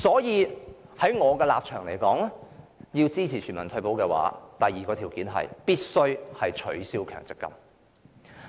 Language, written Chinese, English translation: Cantonese, 因此，我的立場是，要推行全民退休保障，第二項條件是必須取消強積金計劃。, So my position is that the second condition for implementing universal retirement protection is to abolish the MPF System